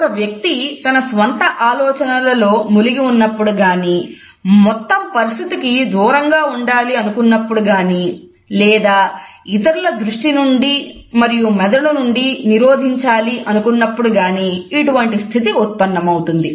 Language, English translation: Telugu, It may occur when either a person is engrossed in one’s own thought and wants to cut off from the whole situation or on the other hand wants to in a way block others from the sight and from the cognizes itself